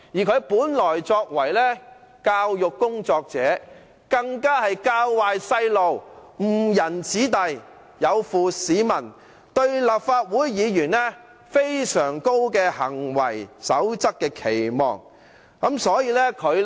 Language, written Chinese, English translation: Cantonese, 他曾為教育工作者，那樣的行為更"教壞"孩童，誤人子弟，有負市民對立法會議員的行為準則所有的非常高期望。, He had worked in the education profession before . This kind of conduct will set a bad example for young people and lead them astray . He has also conducted himself in such a way that is contrary to the high expectation of the public in respect of the standard of conduct of a Legislative Council Member